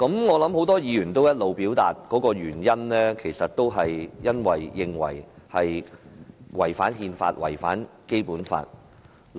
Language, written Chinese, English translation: Cantonese, 我相信很多議員表示反對的原因，是認為這項《條例草案》違反憲法和《基本法》。, I believe the reason for many Members opposition is that they consider the Bill in violation of the Constitution and the Basic Law